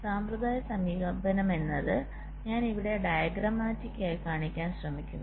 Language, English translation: Malayalam, the conventional approach is that i am just trying to show it diagrammatically here